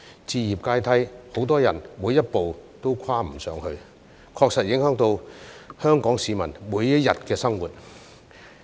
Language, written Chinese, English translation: Cantonese, 置業階梯，很多人每一步都跨不上去，確實影響香港市民每一天的生活。, Many people are unable to climb one step up the home ownership ladder and it does affect the daily life of Hong Kong people